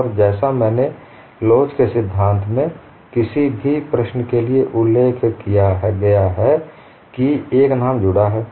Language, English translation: Hindi, And as I mention for any of the problem in theory of elasticity a name is associated